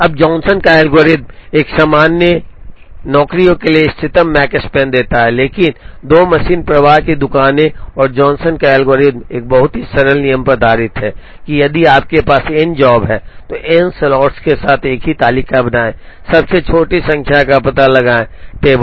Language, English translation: Hindi, Now, Johnson’s algorithm gives the optimum Makespan, for a general m jobs, but 2 machine flow shop and Johnson’s algorithm is based on a very simple rule, that if you have n jobs create a table with n slots, find out the smallest number in the table